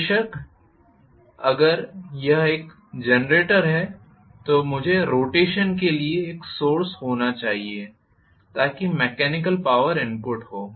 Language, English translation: Hindi, Of course, if it is a generator I should have a source for rotation so mechanical power has to be input